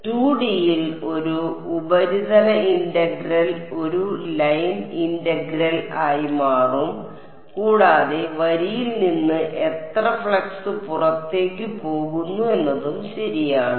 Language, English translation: Malayalam, In 2D a surface integral will become a line integral and how much flux is going out of the line ok